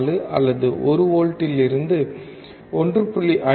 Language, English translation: Tamil, 04 or 1 volt to 1